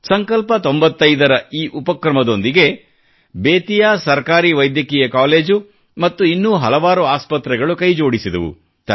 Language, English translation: Kannada, Under the aegis of 'Sankalp Ninety Five', Government Medical College of Bettiah and many hospitals also joined in this campaign